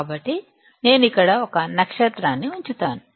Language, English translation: Telugu, So, I will put a star here